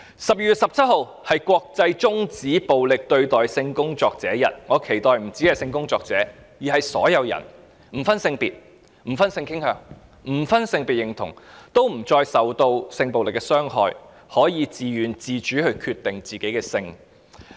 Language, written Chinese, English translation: Cantonese, 12月17日是國際終止暴力對待性工作者日，我期待不只是性工作者，而是所有人，不分性別、性傾向、性別認同，均不再受到性暴力的傷害，能夠自願和自主地決定自己的性。, The International Day to End Violence Against Sex Workers falls on 17 December each year but I hope that apart from sex workers all people regardless of their gender sexual orientation and gender identity will be free from sexual violence and free to determine their own sex in a voluntary and independent manner